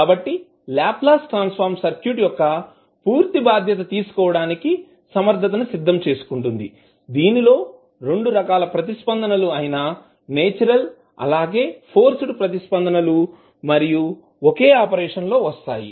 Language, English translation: Telugu, So Laplace transform is capable of providing us the total response of the circuit, which comprising of both the natural as well as forced responses and that comes in one single operation